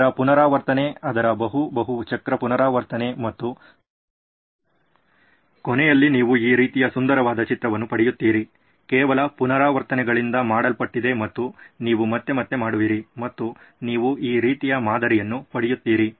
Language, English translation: Kannada, Its an iteration, its multi multi cycle iteration and in the end you will get a beautiful image like this, just made of iterations something that you do over and over and over again and you get this kind of a pattern